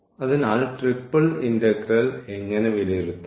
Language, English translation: Malayalam, So, how to evaluate the triple integral